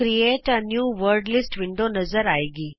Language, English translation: Punjabi, The Create a New Wordlist window appears